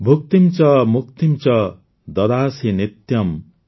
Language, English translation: Odia, Bhuktim cha muktim cha dadasi nityam,